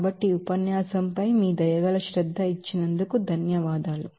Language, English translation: Telugu, And so, thank you for giving your kind attention to the lecture